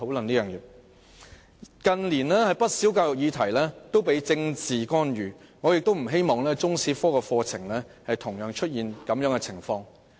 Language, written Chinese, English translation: Cantonese, 近年，不少教育議題都受到政治干預，我不希望中史科出現相同情況。, In recent years a number of education issues have been subject to political intervention and I do not hope the same will happen to the teaching of Chinese history